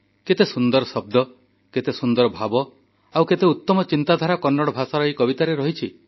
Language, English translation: Odia, You will notice the beauty of word, sentiment and thought in this poem in Kannada